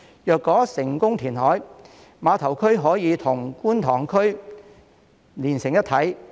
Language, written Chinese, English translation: Cantonese, 如果成功填海，碼頭區將可與觀塘區連成一體。, If successful the terminal area can be integrated with the Kwun Tong District